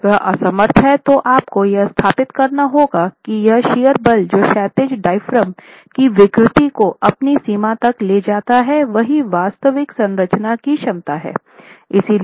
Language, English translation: Hindi, If it is unable to, then you will have to establish that this is the shear force that takes the deformation in the horizontal diaphragm to its limit, that is the actual capacity of the structure